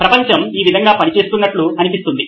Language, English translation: Telugu, That’s how world seems to be working this way